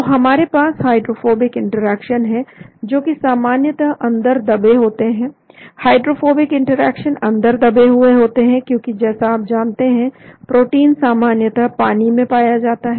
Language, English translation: Hindi, so we have the hydrophobic interactions which are generally buried inside, hydrophobic interactions are buried inside because as you know protein is generally found more in the water